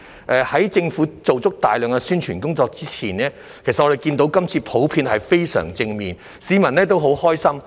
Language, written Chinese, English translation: Cantonese, 在政府做大量宣傳工作之前，其實我們看到反應普遍也相當正面，市民都很高興。, Prior to the many publicity efforts made by the Government we could see that the responses were generally positive and the public were very happy